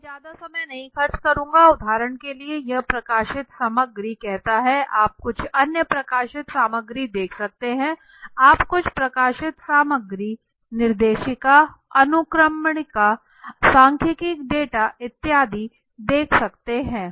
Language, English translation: Hindi, So I am not speaking much not spending time too much so for example this says the publish materials you can see some other publish materials you can see some of the publish materials directories, indexes, statistical data etc